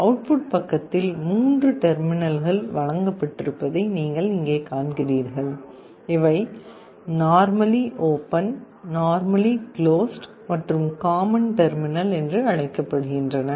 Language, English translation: Tamil, And on the output side you see there are three terminals that are provided, these are called normally open normally closed , and the common terminal